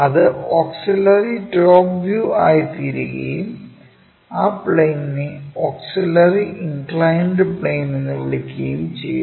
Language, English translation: Malayalam, Auxiliary top view it becomes and the plane is called auxiliary inclined plane